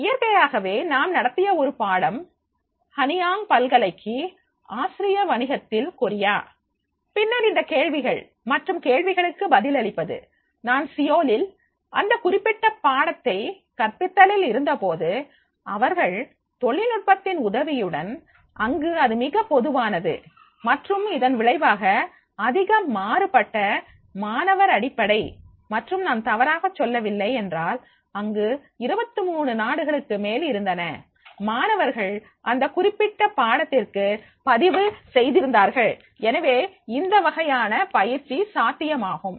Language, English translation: Tamil, So naturally I remember that is one course which I have conducted for the Henang University Korea and the Asian business and then then these queries and answering the queries when I was at Seoul for this teaching this particular subject, they were with the help of the technology was very much common and resulting in a more diverse student base and if I am not wrong there were more than the 23 countries the students were registered for that particular course